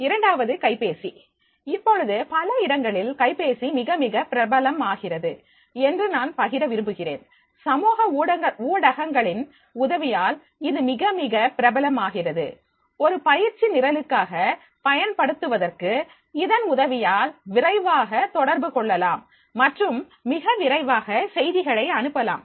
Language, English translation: Tamil, Now I would like to share that is the at many places that mobile is becoming a very, very popular with the help of the social media, it is becoming very, very popular to make it use for the training program and this can be communicated fast and this can be messaged very fast